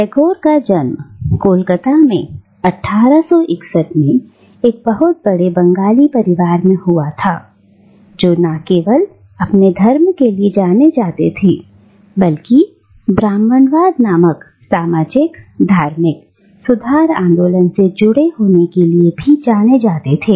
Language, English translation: Hindi, Now, Tagore was born in Calcutta in 1861 in an illustrious Bengali family which was not only known for its wealth but also known for its involvement with the socio religious reform movement called Brahmoism